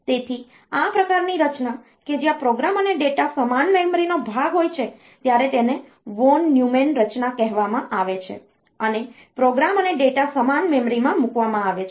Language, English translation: Gujarati, So, this type of organization where program and data are part of the same memory, they are called von Neumann organization and the program and data are put into the same memory